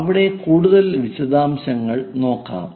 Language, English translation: Malayalam, Let us look at more details there